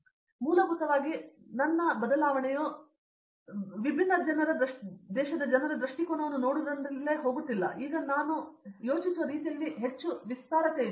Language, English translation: Kannada, So, going basically my change came from going aboard from seeing different people’s perspective and now the way I think is far more expansive